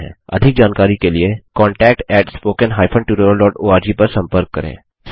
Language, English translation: Hindi, For more details, write to contact at spoken hypen tutorial dot org